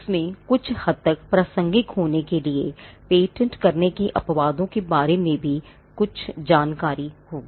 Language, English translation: Hindi, It would also have some information about exceptions to patentability to the extent they are relevant